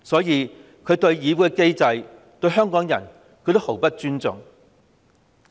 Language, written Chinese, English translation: Cantonese, 因此，她對議會機制、香港人也毫不尊重。, For this reason she has little respect for the mechanism of this Council nor any respect for Hong Kong people